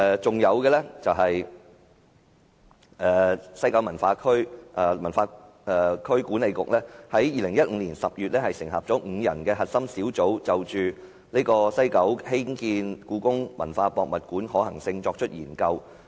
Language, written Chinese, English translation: Cantonese, 此外，西九文化區管理局於2015年10月成立5人核心小組，就在西九興建故宮館的可行性作出研究。, In addition WKCDA set up a five - member core team in October 2015 to explore the feasibility of building HKPM in WKCD